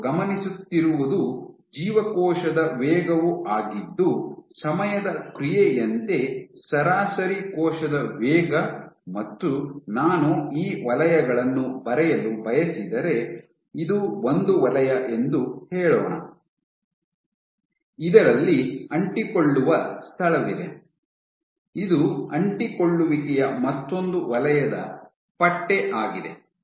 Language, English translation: Kannada, So, what the tract was the cell speed, the average cells speed as a function of time and so if I want to draw these zones let us say this is one zone in which you have an adherence spot, this is another zone where you have the adherence stripe